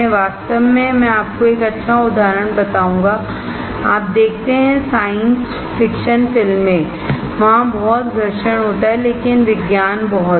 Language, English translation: Hindi, In fact, I will tell you a cool example, you see science fiction movies there is lot of friction right, but there is lot of science